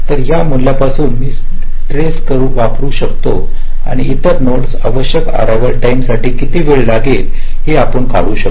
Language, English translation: Marathi, from that value i can back trace and you can deduce what will be the required arrival time for the other nodes